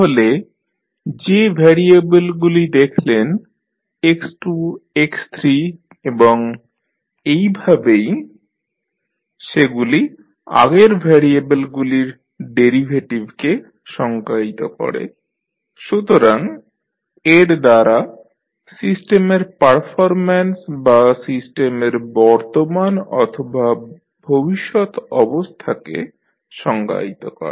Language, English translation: Bengali, So, the variable which you have seen x2, x3 and so on are somehow defining the derivative of the previous variable so with this you can specify the system performance that is present or future condition of the system